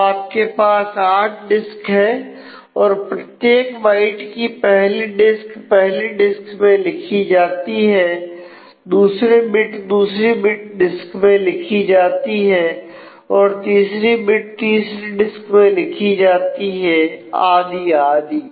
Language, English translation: Hindi, So, you have 8 disks and every byte first byte first bit is written to one disk second byte is second bit is written to the second disk, third bit is written to the third disk and so, on